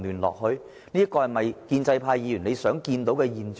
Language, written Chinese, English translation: Cantonese, 這是否建制派議員想看到的現象？, Is this a phenomenon that pro - establishment Members want to see?